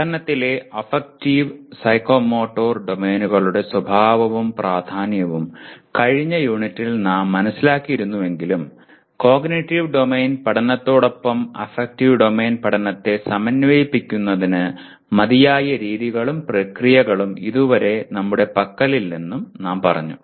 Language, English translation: Malayalam, Now in the last unit we understood the nature and importance of affective and psychomotor domains to learning but we also said we as yet we do not have adequate methods and processes to integrate affective domain learning along with the cognitive domain learning